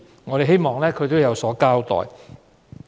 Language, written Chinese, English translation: Cantonese, 我們希望政府有所交代。, We hope the Government can tell us